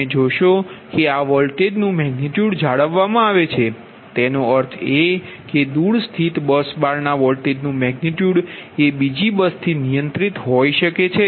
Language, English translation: Gujarati, that you will see this voltage magnitude is maintained, right, that means the voltage magnitude have remotely locate bus bar can be control from a totally different from another bus, right